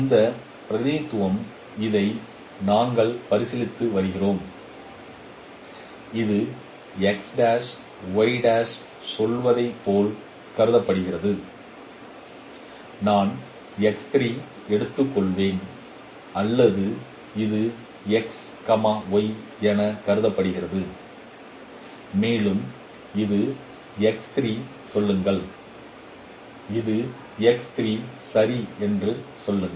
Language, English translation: Tamil, This representation, we are considering this x prime y prime and this is considered as say x prime y prime let me take is at x3 or and this is considered as x y and say this is say x3 and this is say x3 prime